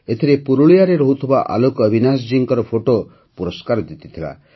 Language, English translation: Odia, In this, the picture by AlokAvinash ji, resident of Purulia, won an award